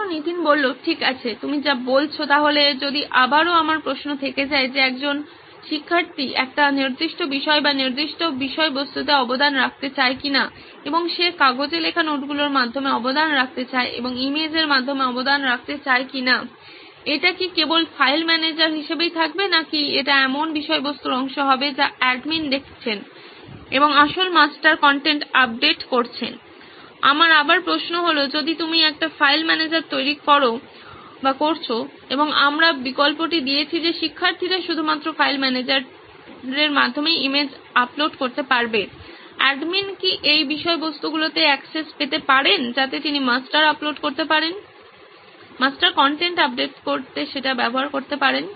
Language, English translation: Bengali, Okay that is what you are saying, so if again my question remains as to whether if a student wants to contribute to a certain subject or certain content and he wants to contribute through the notes that he has taken on paper and is contributing it in the form of image, would it remain only the file manager or would it be part of the content that the admin is seeing and updating the original master content, my question again is like if you are creating a file manager and we have given the option to the students to upload is image only in the file manager, would the admin have access to these contents so that he can use that contain to upload the master, update the master content